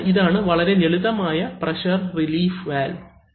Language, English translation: Malayalam, So, this is a very simple pressure relief valve